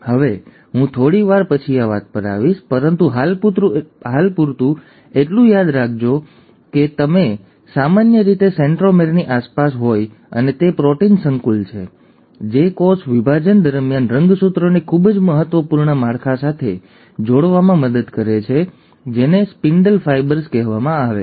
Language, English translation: Gujarati, Now I will come back to this a little later but for the time being, just remember that it is usually surrounding the centromere and it is the protein complex which helps in attaching the chromosomes to a very important structure during cell division, which is called as the ‘spindle fibres’